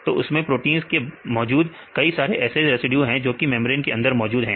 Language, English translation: Hindi, So, the proteins there are some several residues which are embedded into membranes